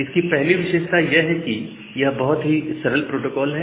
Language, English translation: Hindi, So, the feature is that first of all it is a very simple protocol